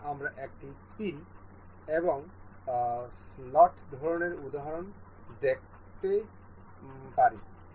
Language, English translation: Bengali, Now, we will see pin and slot kind of example